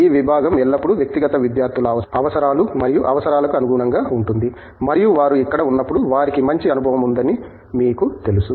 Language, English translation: Telugu, The department always has actually accommodated the individual student needs and requirements and you know matured that they have a good experience while they are here